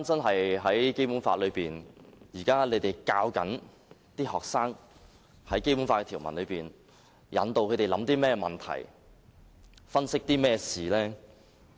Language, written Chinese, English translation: Cantonese, 看回《基本法》，現時政府教導學生《基本法》的條文時引導他們去思考甚麼問題，分析甚麼事情？, At present when the Government teaches students the provisions of the Basic Law what issues does it ask them to think about? . What does it ask them to analyse?